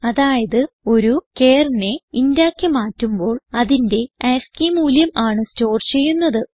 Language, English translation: Malayalam, It means when a char is converted to int, its ascii value is stored